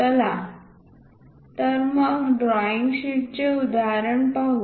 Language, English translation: Marathi, Let us look at an example of a drawing sheet